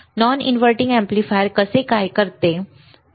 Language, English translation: Marathi, How non inverting amplifier operates